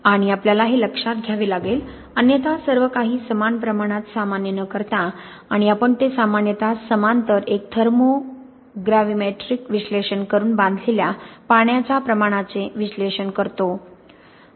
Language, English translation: Marathi, And we have to take this into account otherwise without having everything normalized to the same amount, and we generally do that by making in parallel a thermogravimetric analysis to analyze the amount of bound water